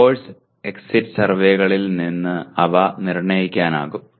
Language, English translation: Malayalam, They can be determined from the course exit surveys